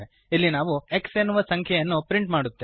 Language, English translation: Kannada, Here we print the number x The class is closed here